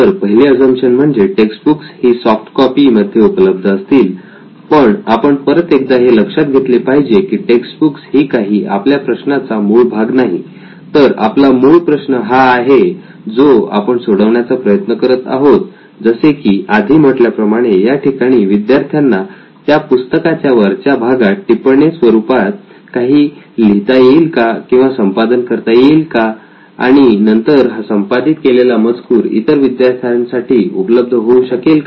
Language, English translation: Marathi, So the first assumption, one of the fourth assumption was the textbook would be available in soft copies, so again textbook is not the core part of the problem that we are trying to solve but we still would want to see if students would have the ability to like you mention write on top or edit on top of textbooks and that contain also can be available for everyone